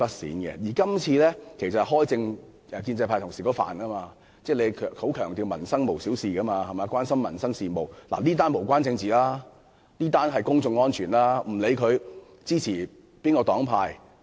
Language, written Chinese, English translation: Cantonese, 再者，處理今次事件可謂是建制派同事的強項，因為他們經常強調"民生無小事"，又關心民生事務，是次事件無關政治，屬於公眾安全問題，不論議員屬何黨派......, In addition pro - establishment colleagues are particularly good at handling such incidents as they often emphasize that peoples livelihood is no trivial matter and are concerned about livelihood issues . It is a public safety incident which has nothing to do with politics